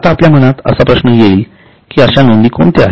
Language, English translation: Marathi, Now, the question in your mind will be which are such items